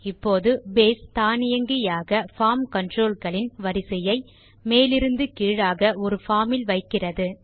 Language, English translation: Tamil, Now, Base automatically sets the tab order of the form controls from top to bottom in a form